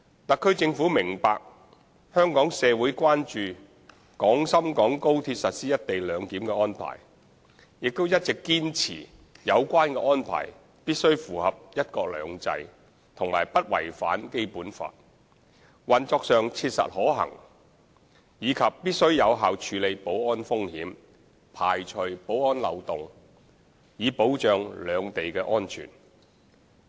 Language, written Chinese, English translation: Cantonese, 特區政府明白香港社會關注廣深港高鐵實施"一地兩檢"的安排，亦一直堅持有關安排必須符合"一國兩制"和不違反《基本法》，運作上切實可行，以及必須有效處理保安風險，排除保安漏洞，以保障兩地的安全。, The Government of the Hong Kong Special Administrative Region HKSAR understands that the community of Hong Kong is concerned about matters relevant to the implementation of co - location arrangement of XRL and has all along insisted that the relevant arrangement must comply with one country two systems and must not contravene the Basic Law; that it must be operationally feasible; and that it must be effective in controlling security risks and avoiding security loopholes to safeguard the safety of both places